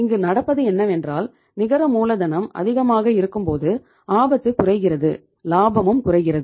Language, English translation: Tamil, And second case is low net working capital higher the risk but the profitability is higher